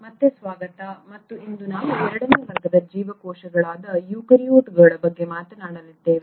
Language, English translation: Kannada, Welcome back and today we are going to talk about the second category of cells which are the eukaryotes